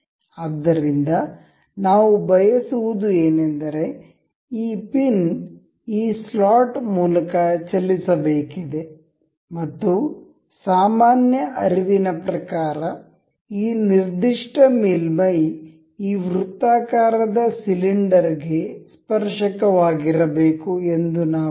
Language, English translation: Kannada, So, what we intend is this pin is supposed to move through this lot, and from a general intuition we can we wish that this particular surface is supposed to be tangent on this circular cylinder